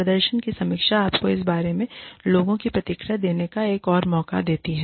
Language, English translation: Hindi, Performance review, gives you another chance, to give the people's feedback, regarding this